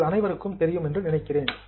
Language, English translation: Tamil, I think you all know the definition